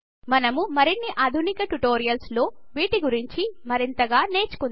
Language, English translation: Telugu, We will learn more about them in more advanced tutorials